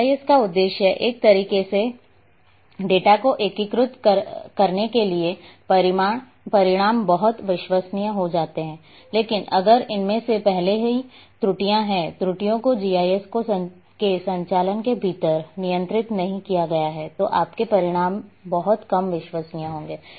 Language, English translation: Hindi, Aim of the GIS to integrate data in a manner that the results become very reliable, but if it is already having errors, errors have not been controlled within the operations of GIS then your results would have very low level of confidence